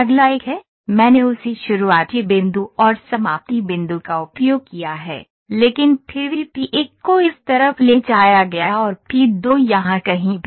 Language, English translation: Hindi, The next one is, I have used the same starting point and ending point, but still moved the p 1 to this side and p 2 somewhere here